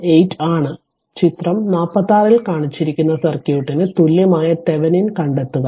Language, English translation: Malayalam, Next is your 4 point that example 18, the find the Thevenin equivalent of the circuit shown in figure 46